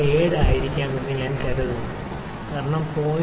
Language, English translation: Malayalam, 97 may be because 0